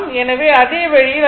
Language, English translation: Tamil, So, same way it can be written